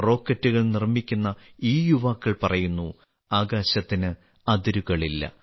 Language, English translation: Malayalam, As if these youth making rockets are saying, Sky is not the limit